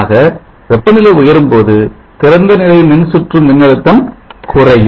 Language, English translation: Tamil, 847 volts, so as temperature increases the open circuit voltage will drop